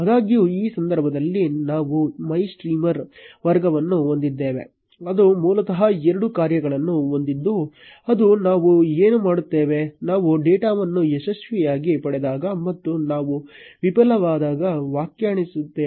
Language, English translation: Kannada, However, in this case, we have a class MyStreamer which has basically two functions which define what we will do, when we get the data successfully, and when we fail